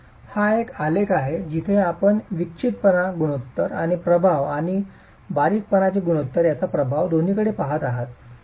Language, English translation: Marathi, So this is one graph where you are looking at both the effect of the eccentricity ratio and the effect of the slendinous ratio